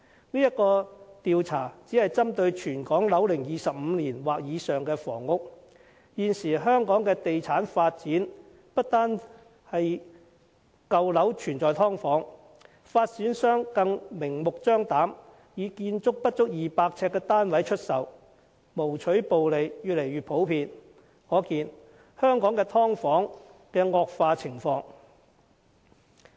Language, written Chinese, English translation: Cantonese, 這項調查只是針對全港樓齡25年及以上的房屋，但現時香港的地產發展已不單是舊樓有"劏房"，發展商更明目張膽地出售建築不足200呎的單位，牟取暴利的情況越來越普遍，可見香港的"劏房"問題已經嚴重惡化。, This survey only targets at buildings aged 25 and above in Hong Kong but as evident from the current property development subdivided units are not only found in old buildings . Some developers have blatantly sold flats of less than 200 sq ft and profiteering has become a common practice . From this we can see that the problem of subdivided units has been seriously aggravated